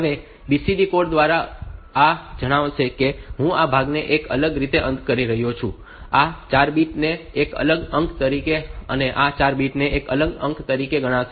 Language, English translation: Gujarati, Now, this by BCD code will tell that I will consider this part as a separate digit these 4 bits as a separate digit, and these 4 bits as a separate digit